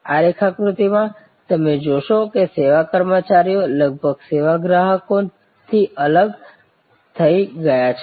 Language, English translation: Gujarati, In this diagram, as you will see service employees are almost separated from service consumers